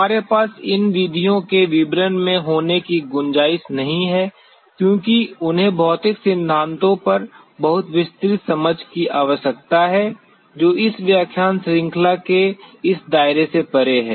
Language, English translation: Hindi, We do not have the scope of getting into the details of these methods because they need very elaborate understanding on the physical principles which is beyond this scope of this lecture series